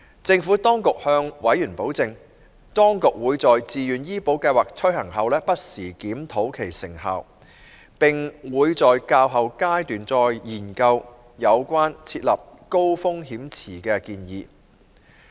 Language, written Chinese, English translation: Cantonese, 政府當局向委員保證，當局會在自願醫保計劃推行後不時檢討其成效，並會在較後階段再研究有關設立高風險池的建議。, The Administration has assured members that it will review the effectiveness of VHIS from time to time after its implementation and re - examine the proposal of setting up a High Risk Pool HRP at a later stage